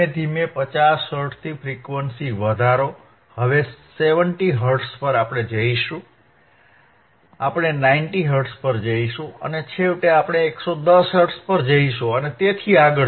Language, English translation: Gujarati, sSlowly increase the frequency from 50 Hertz, we will go to 70 Hertz, we will go to 90 Hertz, we go 110 Hertz and so on so on and so forth